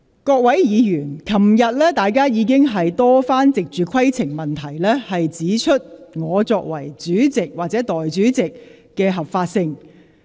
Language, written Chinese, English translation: Cantonese, 各位議員，昨天大家已經多番藉着提出規程問題，質疑我擔任內務委員會主席或立法會代理主席的合法性。, Honourable Members yesterday you already repeatedly raised points of order to query the legitimacy of my position as Chairman of the House Committee or Deputy President of the Legislative Council